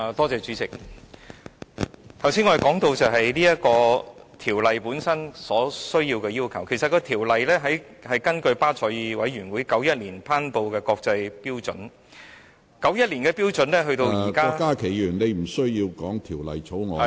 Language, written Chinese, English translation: Cantonese, 主席，我剛才談到《條例草案》本身的要求，其實《條例草案》是根據巴塞爾委員會在1991年頒布的國際標準，而1991年的標準至現在......, President just now I talked about the requirements of the Bill itself . The Bill was introduced in accordance with the international standards promulgated by BCBS in 1991 and while these standards of 1991 are carried forward to this day